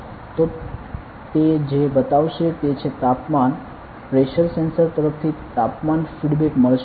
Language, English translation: Gujarati, So, what it will show is Temperature; there will be Temperature feedback from the pressure sensor